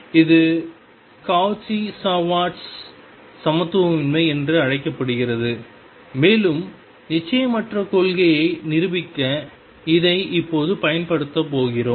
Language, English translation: Tamil, This is known as the Cauchy Schwartz inequality and we are going to use this now to prove the uncertainty principle